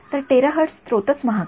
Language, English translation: Marathi, So, a terahertz sources are themselves expensive